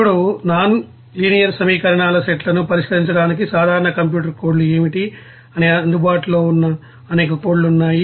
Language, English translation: Telugu, Now, what are the general computer codes to solve the sets of nonlinear equations, there are several you know codes that are available thereof they are like this